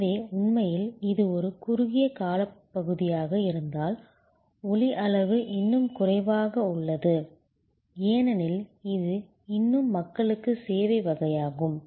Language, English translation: Tamil, So, where actually it is a short duration, volume is still low, because it is still lot of people to people type of service